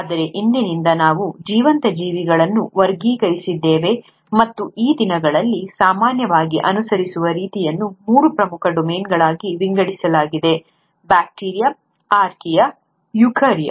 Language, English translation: Kannada, But as of today, we have classified the living organisms, and this is how is normally followed these days, are into three major domains; the bacteria, the archaea and the eukarya